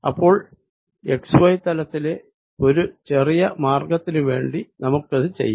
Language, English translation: Malayalam, so let us do it for this small path in the x y plane